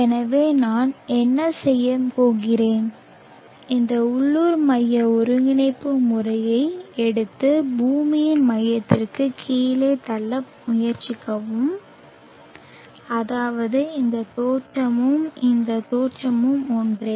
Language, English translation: Tamil, So what I am going to do is take this local centric coordinate system and try to push it down to the center of the earth such that this origin and this origin are the same